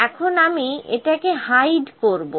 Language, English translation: Bengali, Now I will hide this